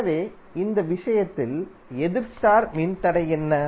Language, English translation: Tamil, So in this case, what is the opposite star resistor